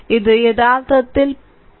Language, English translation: Malayalam, So, this is actually 0